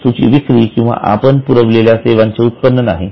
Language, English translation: Marathi, It is not a sale of goods or it is not a supply of services done by us